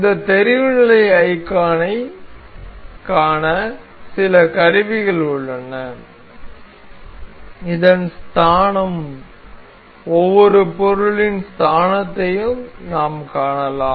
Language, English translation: Tamil, So, there are some tools to see this visibility icon, we can see the origin of this, origin of each of the items, we can see origin of each items